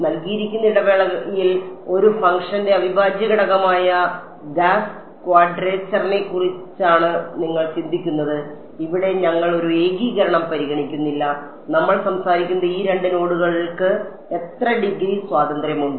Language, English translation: Malayalam, What you are thinking of is Gauss quadrature which is the integral of a function over the given interval, here we are not considering a integration; we just talking about given these 2 nodes how many degrees of freedom are there